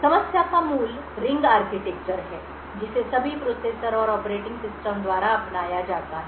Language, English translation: Hindi, The heart of the problem is the ring architecture that is adopted by all processors and operating systems